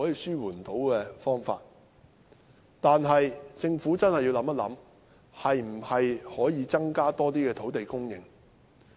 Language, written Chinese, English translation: Cantonese, 然而，政府真的要考慮一下可否增加更多土地供應。, Nevertheless the Government should really consider whether it can increase the land supply